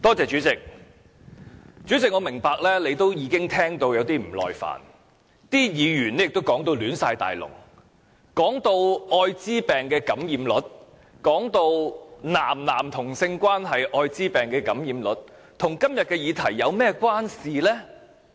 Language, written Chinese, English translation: Cantonese, 主席，我明白你已經聽到有點不耐煩，議員的發言已亂七八糟，提及愛滋病感染率、"男男"同性關係愛滋病感染率，這些與今天的議題有何關係？, Chairman I understand that you are a little impatient as Members speeches have turned into a mess . They talked about AIDS infection rate and AIDS infection rate among MSM partners . What do these have to do with the subject under discussion today?